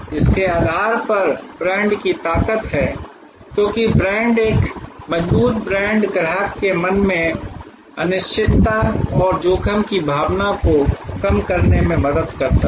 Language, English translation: Hindi, Based on it is brand strength, because the brand, a strong brand helps to reduce the uncertainty and the sense of risk in the customer's mind